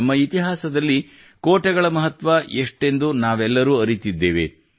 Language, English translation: Kannada, We all know the importance of forts in our history